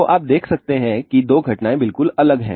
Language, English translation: Hindi, So, you can see that the two phenomena's are totally different